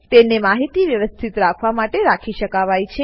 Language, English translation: Gujarati, It can serve to keep information organized